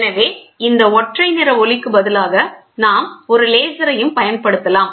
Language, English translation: Tamil, So, instead of this monochromatic light, we can also use laser